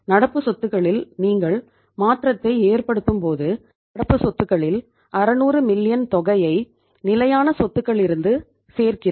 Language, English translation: Tamil, When you make a change to the current assets we add in the current assets some amount of 600 million from the fixed assets